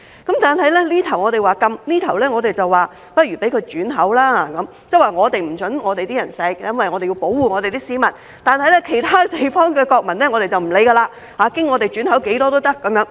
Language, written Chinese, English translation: Cantonese, 但這邊廂我們說要禁止，那邊廂我們卻說不如讓它轉口，即我們不准香港人吸食，因為我們要保護我們的市民，而其他地方的國民，我們便不理會，經香港轉口多少也可。, That is to say we do not allow Hong Kong people to consume such products because we have to protect our people . But as for citizens of other places we could not care less and it is alright to re - export these products via Hong Kong regardless of their quantity